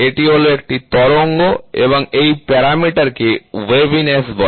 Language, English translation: Bengali, This is a wave and this parameter is called as waviness